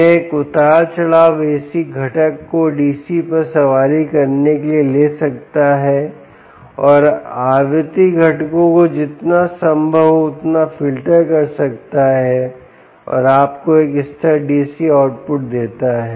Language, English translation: Hindi, it can take fluctuating ac ac component riding over a dc and filter out the frequency components as much as possible and give you a stable dc output